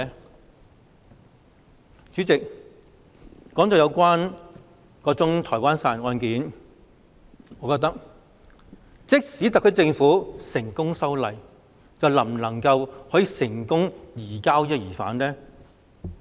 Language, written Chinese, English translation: Cantonese, 代理主席，談到該宗台灣殺人案，即使特區政府成功修例，是否就能成功移交疑犯？, Deputy President when it comes to the Taiwan homicide case will the suspect be successfully surrendered even if the legislation has been amended by the SAR Government?